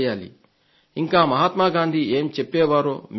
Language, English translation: Telugu, Do you know what Mahatma Gandhi used to say